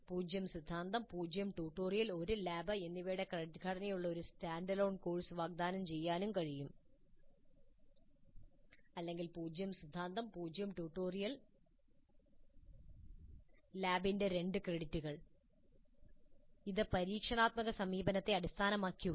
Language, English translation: Malayalam, It is also possible to offer a standalone course with a credit structure of zero theory, zero tutorial one lab or zero theory, zero tutorial two credits of lab and that can be based on experiential approach